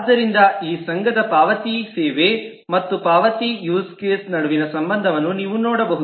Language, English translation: Kannada, So you can see an association between the payment service and the payment use case